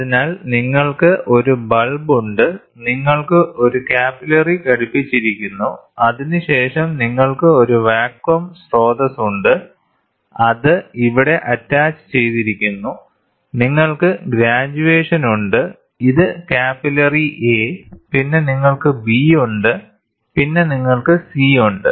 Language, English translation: Malayalam, So, you have a bulb, you have a capillary which is attached, then you have a vacuum source, which is attached to here, you have graduations, this is capillary A, then you have B, then you have C